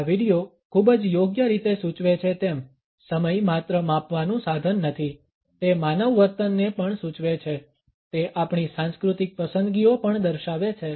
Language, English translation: Gujarati, As this video very aptly suggest, time is not only a measuring instrument, it also indicates human behavior; it also indicates our cultural preferences